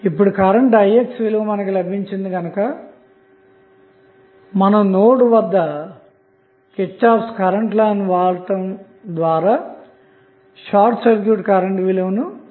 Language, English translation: Telugu, So, now, you get you get the value of Ix, when you get the value of Ix you have to just run the KCL at node and find out the value of the short circuit current